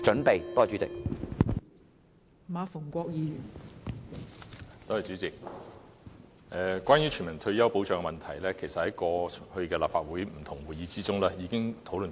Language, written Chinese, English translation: Cantonese, 代理主席，關於全民退休保障的問題，其實過去在立法會不同的會議中，已經討論甚多。, Deputy President the issue of universal retirement protection system has actually been extensively discussed in various meetings in the Legislative Council